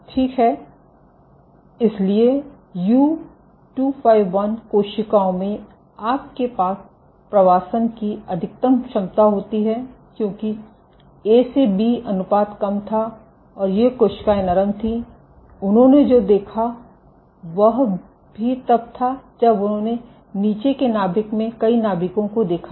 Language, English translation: Hindi, So, in U251 cells you have the maximum efficiency of migration because the A to B ratio was low and these cells were soft, but what they also observed was when they looked at the nuclei underneath in the bottom pores many of the nuclei